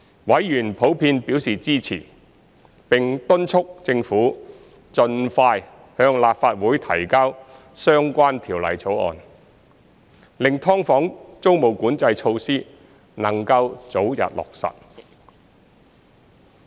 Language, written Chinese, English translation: Cantonese, 委員普遍表示支持，並敦促政府盡快向立法會提交相關條例草案，令"劏房"租務管制措施能早日落實。, Members in general support the proposal and have urged the Government to introduce the relevant bill into the Legislative Council as soon as possible to facilitate the early implementation of rent control measures on subdivided units